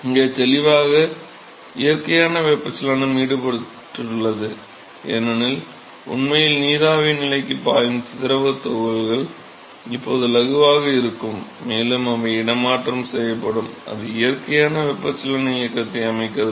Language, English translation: Tamil, Clearly natural convection is involved here because the fluid particles which are actually flowing into vapor stage is, now going to be lighter also they have to be displaced also that is sets up a natural convection motion